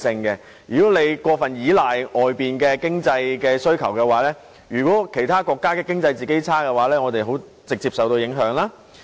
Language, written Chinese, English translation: Cantonese, 如果過分依賴外界的經濟需求，當其他國家經濟衰退時，我們便會直接受到影響。, If our country relied too heavily on foreign economic demand we would be affected immediately when other countries ran into an economic downturn . These two were the main reasons